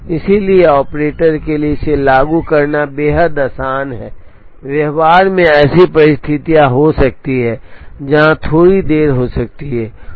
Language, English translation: Hindi, So, it is extremely easy for the operator to implement, in practice it there could be situations where, there can be slight delays